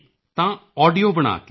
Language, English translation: Punjabi, So make an audio and…